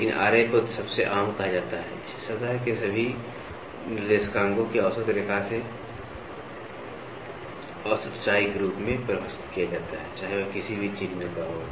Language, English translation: Hindi, But Ra is said to be most common, it is defined as the average height from the mean line of all ordinates of the surface, regardless of the sign we try to get here